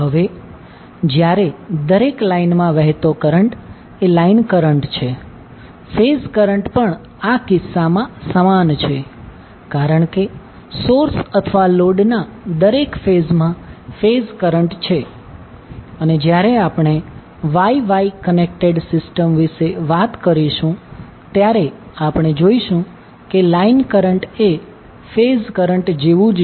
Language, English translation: Gujarati, Now while the line current is the current in each line, the phase current is also same in this case because phase current is the current in each phase of source or load and when we talk about the Y Y connected system we will see that the line current is same as the phase current